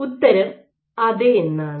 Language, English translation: Malayalam, And the answer is; yes